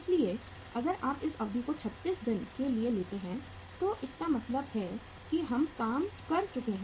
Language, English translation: Hindi, So if you take this duration as 36 days it means uh this is worked out